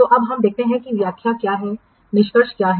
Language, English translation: Hindi, So now let's see what is the interpretation, what is the inference